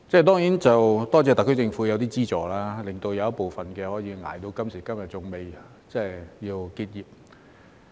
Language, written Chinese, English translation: Cantonese, 當然，感謝特區政府提供一些資助，令部分可以捱到今時今日仍未結業。, Of course thanks to the assistance from the SAR Government some operators in the industry are still hanging in there to this day and have not closed down